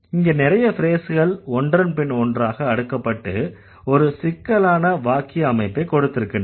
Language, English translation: Tamil, There are so many phrases which have been stacked one of another to have this complex construction